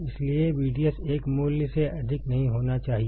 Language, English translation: Hindi, So, we should not exceed V D S more than a value